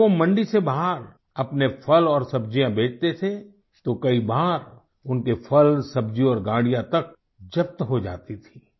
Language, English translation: Hindi, If he used to sell his fruits and vegetables outside the mandi, then, many a times his produce and carts would get confiscated